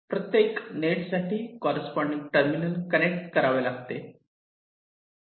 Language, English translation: Marathi, now, for every net, we have to connect the corresponding terminal